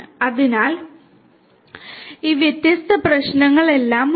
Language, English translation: Malayalam, So, all of these different issues are there